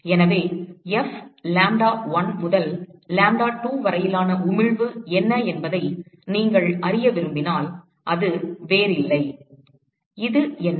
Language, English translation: Tamil, So, if you want to know what is the emission F lambda1 to lambda2, it is nothing but, what is this